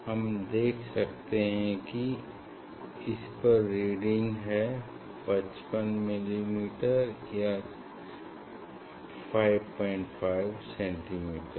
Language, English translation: Hindi, I can see the reading it is 55 millimeter, 5